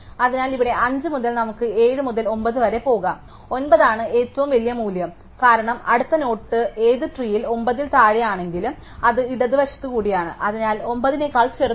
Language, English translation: Malayalam, So, here from 5 we can go to 7 to 9 and 9 is the biggest value, because a next node which all though it is below 9 in the tree it is through the left and therefore, smaller than 9